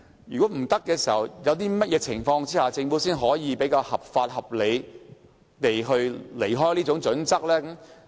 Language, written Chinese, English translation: Cantonese, 如果無法依從，在甚麼情況下，政府才可以比較合法、合理地偏離《規劃標準》？, In cases where compliance is not possible under what circumstances will it be legal and reasonable for the Government to deviate from HKPSG?